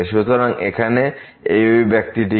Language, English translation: Bengali, So, what is this expression here